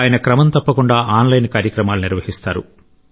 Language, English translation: Telugu, He regularly conducts online programmes